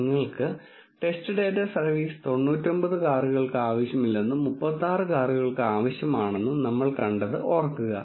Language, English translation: Malayalam, Recall that we have seen in your test data service is not needed for 99 cars and service is needed for 36 cars